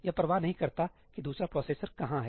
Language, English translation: Hindi, It does not care where the other processor is